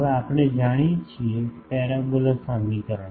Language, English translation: Gujarati, Now, parabola equation we know